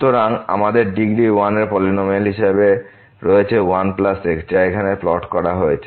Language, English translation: Bengali, So, we have the polynomial of degree 1 as 1 plus which is plotted here